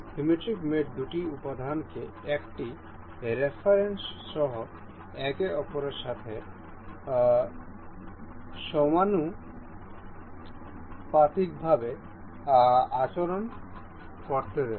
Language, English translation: Bengali, Symmetric mate allows the two elements to behave symmetrically to each other along a reference